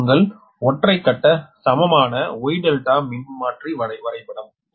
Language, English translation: Tamil, and this is your single phase equivalent star delta transformer diagram